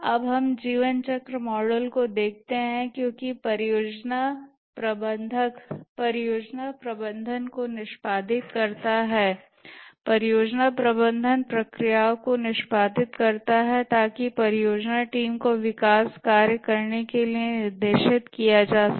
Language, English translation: Hindi, Now let's look at the lifecycle models because the project manager executes the project management the project management processes to direct the project team to carry out the development work